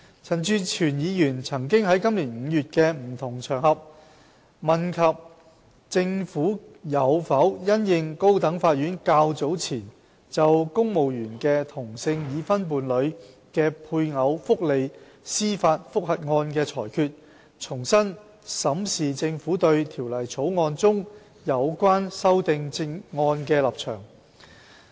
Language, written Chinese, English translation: Cantonese, 陳志全議員曾於今年5月，在不同場合問及政府有否因應高等法院較早前就公務員的同性已婚伴侶的配偶福利司法覆核案的裁決，重新審視政府對《條例草案》中有關修正案的立場。, Mr CHAN Chi - chuen had asked on various occasions in May this year whether the Government would review its position on relevant amendments to the Bill in the light of the High Courts ruling earlier on a judicial review case concerning the welfare of same - sex married partners of civil servants